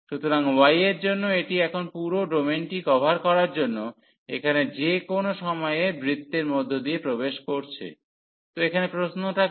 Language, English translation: Bengali, So, for y it is now entering through the circle at any point here to cover the whole domain; so, entering through the circle